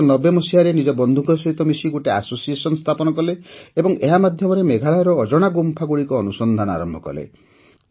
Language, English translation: Odia, In 1990, he along with his friend established an association and through this he started to find out about the unknown caves of Meghalaya